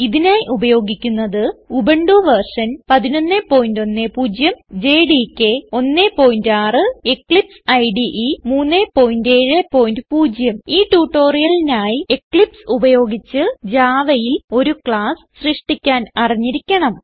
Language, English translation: Malayalam, Here we are using Ubuntu version 11.10 jdk 1.6 And Eclipse IDE 3.7.0 To follow this tutorial you must know how to create a class in Java using Eclipse